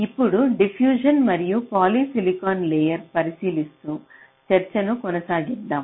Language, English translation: Telugu, ok, so, continuing with our discussions, we now look into the diffusion and polysilicon layers